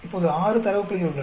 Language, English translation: Tamil, Now, there are 6 data points